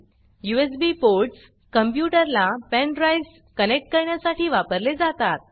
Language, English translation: Marathi, The USB ports are used to connect pen drives to the computer